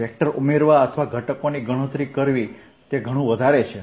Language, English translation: Gujarati, out here, adding vectors or calculating components is much more